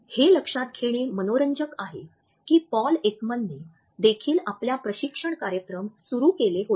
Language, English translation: Marathi, It is interesting to note that Paul Ekman had also started his training programmes